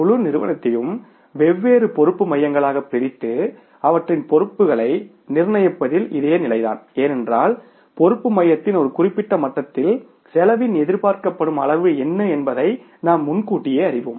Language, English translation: Tamil, So, same is the case with the dividing the whole form into the different responsibility centers and fixing of their responsibility because we know in advance that what is the expected level of the cost at the one given level of the responsibility center